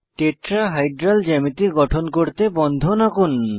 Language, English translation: Bengali, Orient the bonds to form a Tetrahedral geometry